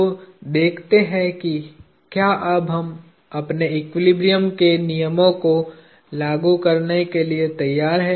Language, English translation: Hindi, So, let see if we are now ready to apply our laws of equilibrium